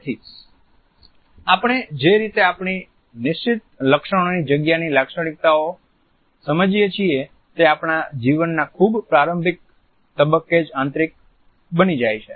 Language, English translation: Gujarati, So, the way we perceive the features of our fixed space are internalized at a very early stage in our life